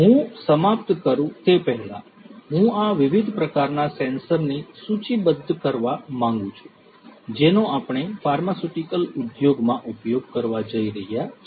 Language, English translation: Gujarati, Before I end, I would like to list these different types of sensors that we are going to use in the pharmaceutical industry